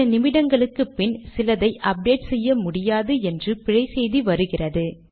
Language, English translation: Tamil, After a few minutes, I get this error message that something can not be updated, so it doesnt matter